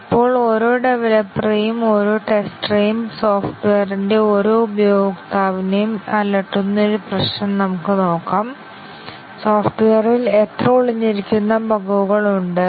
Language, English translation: Malayalam, Now, let us look at one problem which bothers every developer, every tester and every user of software; that how many latent bugs are there in the software